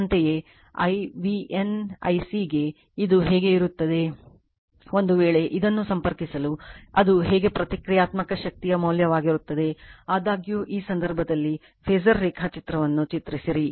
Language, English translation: Kannada, Similarly, for I v n I c , the question is , how it will be , if, you to connect this , how it what is the value of then Reactive Power; however, doing it then , in this case you draw the phasor diagram